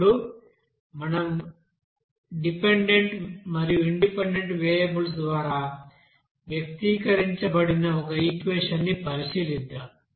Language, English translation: Telugu, Now let us consider that equation which will be you know expressing by dependent variables and independent variables